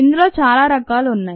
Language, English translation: Telugu, there are many different types